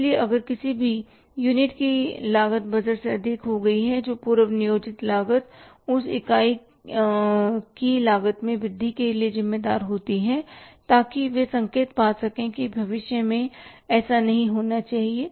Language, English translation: Hindi, So, if any unit's cost has gone beyond the budget order budgeted or pre determined cost that unit can be held responsible for that increase in the cost and they can be alarmed that it should not happen in future